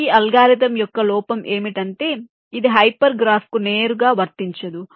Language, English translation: Telugu, the drawback of this algorithm is that this is not applicable to hyper graph directly